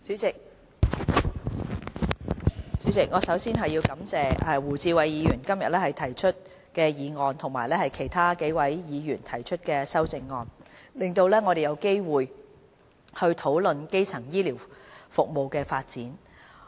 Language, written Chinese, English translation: Cantonese, 代理主席，首先，我要感謝胡志偉議員今天提出議案及其他數位議員提出修正案，令我們有機會討論基層醫療服務的發展。, Deputy President first of all I thank Mr WU Chi - wai for moving this motion today and the other Members for proposing the amendments which gives us an opportunity to discuss the development of primary health care services